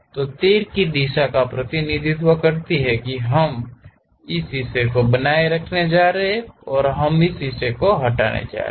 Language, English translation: Hindi, So, the arrow direction represents we are going to retain this part and we are going to remove this part